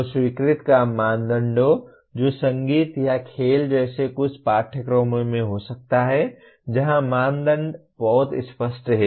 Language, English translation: Hindi, So criterion of acceptance that can in some courses like music or sports there can be where the criteria are very clear